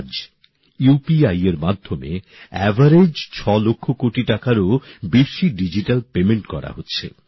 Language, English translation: Bengali, Today, on an average, digital payments of more than 2 lakh crore Rupees is happening through UPI